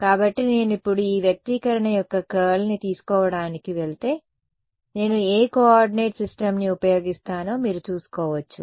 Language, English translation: Telugu, So, if I now go to take the curl of this expression, you can sort of see what coordinate system will I use